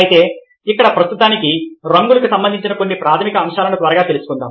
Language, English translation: Telugu, but here for the time being, let us quickly touch upon some of the basic aspects of colours